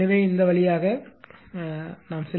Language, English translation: Tamil, So, just go through this right